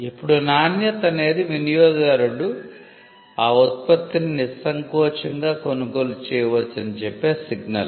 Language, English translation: Telugu, Now, quality is a signal which tells the customer that the customer can go ahead and buy the product